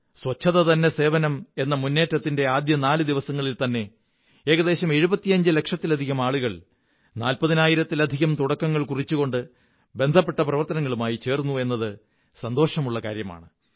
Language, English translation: Malayalam, It is a good thing and I am pleased to know that just in the first four days of "Swachhata Hi Sewa Abhiyan" more than 75 lakh people joined these activities with more than 40 thousand initiatives